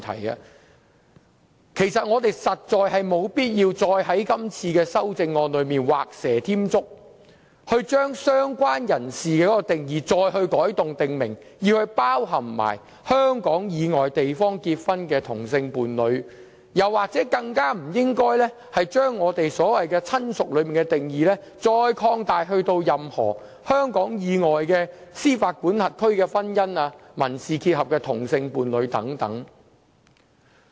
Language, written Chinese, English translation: Cantonese, 因此，我們實在沒有必要在修正案中畫蛇添足，對"相關人士"的定義再作改動，訂明須一併涵蓋香港以外地方結婚的同性伴侶；更不應將"親屬"的定義擴大至涵蓋香港以外的司法管轄區的婚姻及民事結合的同性伴侶等。, Hence it is truly unnecessary to make any redundant alteration to the definition of related person in the amendment to stipulate the inclusion of same - sex partners in a marriage with the deceased celebrated outside Hong Kong . It is also unnecessary to expand the definition of relative to include same - sex partners in a marriage or civil union with the deceased celebrated or contracted in any jurisdiction outside Hong Kong